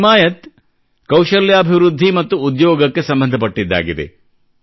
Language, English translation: Kannada, The 'Himayat Programme' is actually associated with skill development and employment